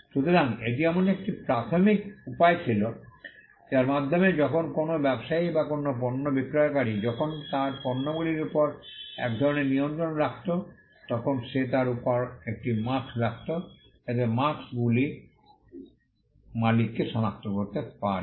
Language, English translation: Bengali, So, this was an initial way by which when a trader or a seller of a goods when he had to have some kind of control over his goods, he would put a mark on it, so that marks could identify the owner